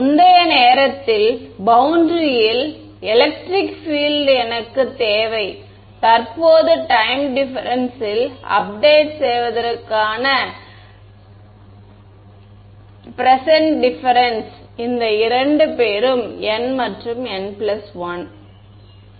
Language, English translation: Tamil, I need the electric field on the boundary at a previous time instance to updated at the present time difference right the only thing that difference between these two guys is n and n plus 1 ok